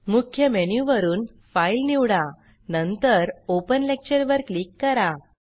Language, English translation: Marathi, From the Main menu, select File, and then click Open Lecture